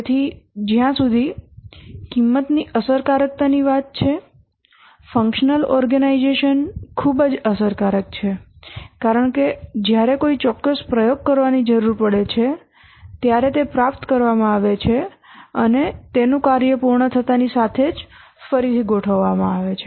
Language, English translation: Gujarati, So as far as the cost effectiveness is concerned, functional organization is very cost effective because when a specific expertise is required, it is procured and returned as soon as they complete their work